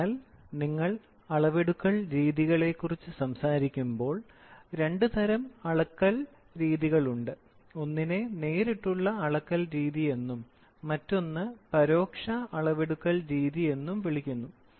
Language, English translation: Malayalam, So, when you talk about methods of measurement, there are two types of measurement; one is called as direct measurement, the other one is called as indirect measurement